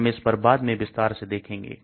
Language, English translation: Hindi, We will look at that more in detail later